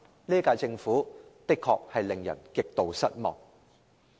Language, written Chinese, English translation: Cantonese, 這屆政府的確令人感到極度失望。, The current - term Government is indeed extremely disappointing